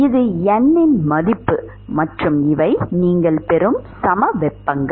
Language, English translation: Tamil, That is the value of the n and these are the isotherms that you will get